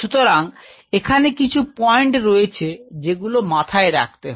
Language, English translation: Bengali, So, when you do so there are few points what has to be taken to mind